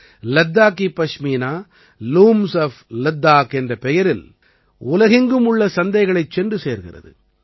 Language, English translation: Tamil, Ladakhi Pashmina is reaching the markets around the world under the name of 'Looms of Ladakh'